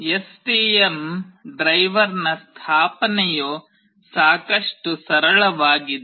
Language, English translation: Kannada, Installation of the STM driver is fairly straightforward